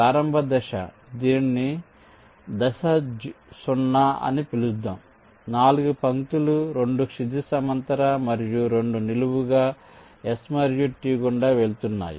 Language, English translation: Telugu, so the initialization step, let us call it step zero: generate four lines, two horizontal and two vertical, passing through s and t